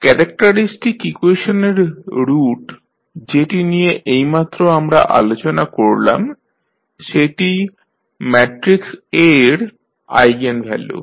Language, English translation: Bengali, So, the roots of the characteristic equation which we just discuss are refer to as the eigenvalues of the matrix A